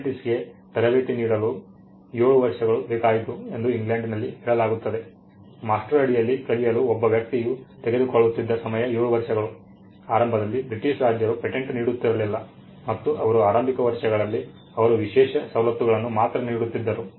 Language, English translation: Kannada, In England it is said that it took 7 years to train an apprentice; that for time of an apprentice under master or a person with whom he learnt was 7 years; initially the British kings when they started granting patents and they we did not actually grand patents in the initial years they granted exclusive privileges